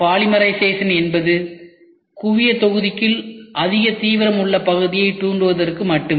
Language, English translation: Tamil, Polymerization is only to trigger the high intensity region within the focal volume